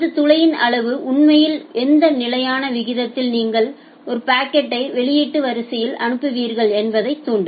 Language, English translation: Tamil, And this size of this hole it will actually trigger that at what constant rate you will send a packet to the output queue